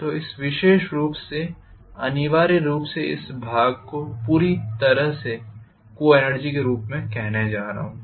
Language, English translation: Hindi, So in this particular sense I am going to have essentially this portion completely as the coenergy, right